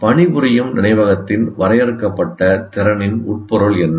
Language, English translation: Tamil, And what is the meaning, what is the implication of limited capacity of the working memory